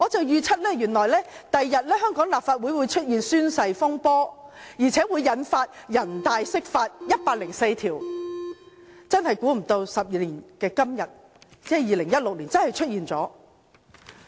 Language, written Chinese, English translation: Cantonese, 原來我預測香港立法會日後會出現宣誓風波，並引發人大就《基本法》第一百零四條釋法，真的估不到12年後的今天，即2016年真的出現了。, I predicted that an oath - taking saga would happen in the Legislative Council and trigger the National Peoples Congresss interpretation of Article 104 of the Basic Law . It is really unexpected that the prediction came true 12 years later in 2016